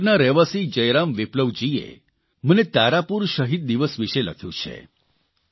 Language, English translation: Gujarati, Jai Ram Viplava, a resident of Munger has written to me about the Tarapur Martyr day